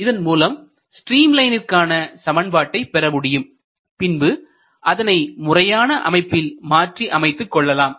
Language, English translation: Tamil, So, that will give the equation of the streamline if you arrange it properly and in a compact form